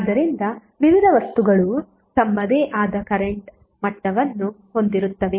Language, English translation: Kannada, So various appliances will have their own current level